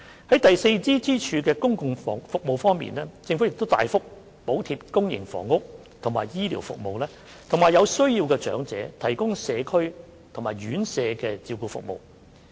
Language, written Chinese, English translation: Cantonese, 在第四支柱的公共服務方面，政府亦大幅補貼公營房屋和醫療服務，並為有需要的長者提供社區和院舍照顧服務。, As regards public services that serve as the fourth pillar the Government heavily subsidizes public housing and health care services and provides needy elderly people with community and residential care services